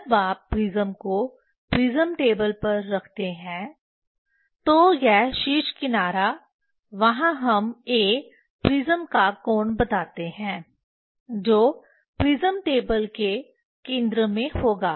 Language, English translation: Hindi, All the time the apex edge at the centre of the prism when you put the prism on the prism table, this apex edge there we tell A angle of prism that will be at the centre of the prism table